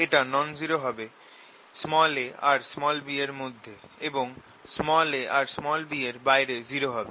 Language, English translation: Bengali, it will be non zero only between a and b and zero otherwise